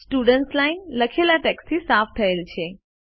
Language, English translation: Gujarati, The Students line is cleared of the typed text